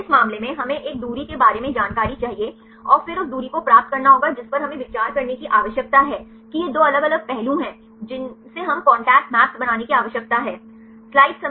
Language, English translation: Hindi, In this case we need the information regarding a distance right and then getting the distance which atoms we need to consider these are 2 different aspects we need to construct the contact map